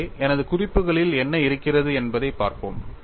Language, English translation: Tamil, So, we will have a look at what I have in my notes